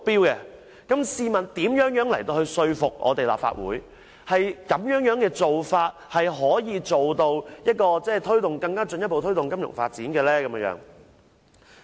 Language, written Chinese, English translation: Cantonese, 如此的話，試問又如何能說服立法會，金發局變成獨立擔保公司可以進一步推動金融發展呢？, How can the Legislative Council be convinced that the incorporation of FSDC as a company limited by guarantee can boost the development of the financial sector?